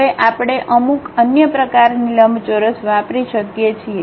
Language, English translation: Gujarati, Now, we can use some other kind of rectangle